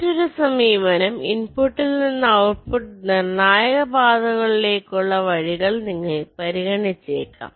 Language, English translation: Malayalam, the other approach: maybe you consider paths from input to the output, critical paths